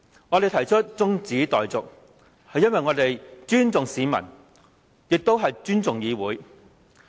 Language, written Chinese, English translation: Cantonese, 我們提出辯論中止待續議案，是因為我們尊重市民、尊重議會。, We have proposed the adjournment debate because we respect the public and the legislature